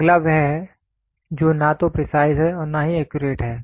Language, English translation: Hindi, The next one is he is neither precise nor accurate